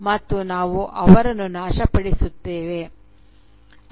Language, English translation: Kannada, And we destroy them